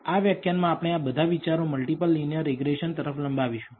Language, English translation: Gujarati, Welcome everyone to this lecture on Multiple Linear Regression